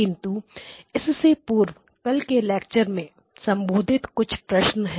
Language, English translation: Hindi, So but before that there were a few questions after the lecture yesterday